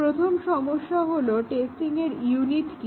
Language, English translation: Bengali, The first challenge is that what is the unit of testing